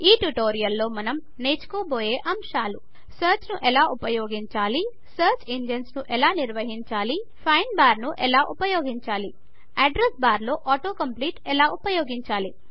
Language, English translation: Telugu, In this tutorial we will learnt how to Use Search, Manage Search Engine,Use the find bar,use Auto compete in Address bar Try this comprehension test assignment